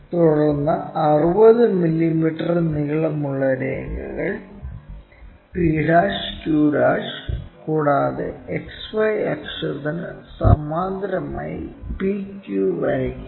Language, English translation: Malayalam, Then draw 60 mm long lines p dash q dash and p q parallel to XY axis